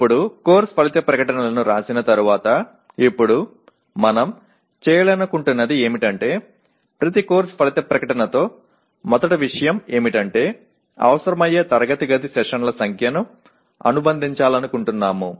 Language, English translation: Telugu, Now having written the course outcome statements, now what we would like to do is, first thing is with each course outcome statement we would like to associate the number of classroom sessions that are likely to be required